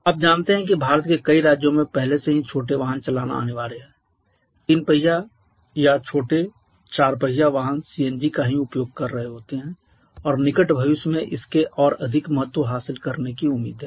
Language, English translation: Hindi, You know in several states of India it is already mandatory to run smaller vehicles 3 wheelers are smaller four wheelers are using CNG is only and it is expected to gain more importance in near future